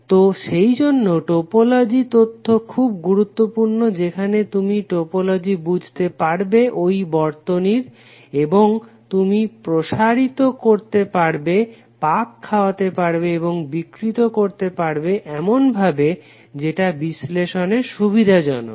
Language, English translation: Bengali, So that is why the topology information is very important where you can understand the topology configuration of the circuit and you can stretch, twist or distort that particular circuit in such a way that it is easier you to analyze